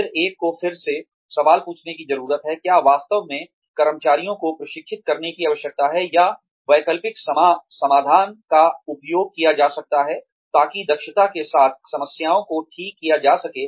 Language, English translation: Hindi, Then, one needs to again, ask the question, whether there is really a need to train employees, or, whether alternative solutions can be used, in order to fix the problems, with efficiency